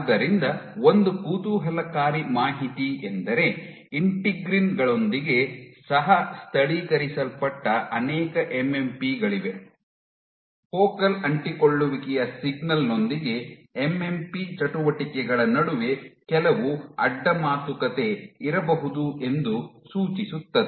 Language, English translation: Kannada, So, one interesting bit of information is that there are many MMPs which is co localize with integrins suggesting there might be some cross talk between MMP activities with focal adhesion signaling